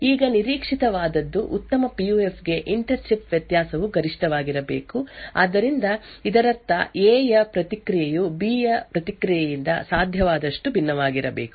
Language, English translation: Kannada, Now what is expected is that for a good PUF the inter chip variation should be maximum, so this means that the response of A should be as different as possible from the response of B